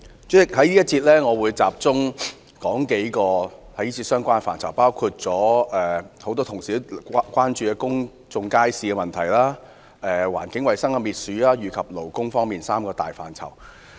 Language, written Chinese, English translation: Cantonese, 主席，在這個辯論環節，我會集中論述數個相關範疇，包括許多議員也關注的公眾街市問題、環境衞生及勞工事務三大範疇。, President in this debate I will focus on a number of related areas including the three major areas concerning the public market problems that many Members are concerned about environmental hygiene especially rodent control and labour matters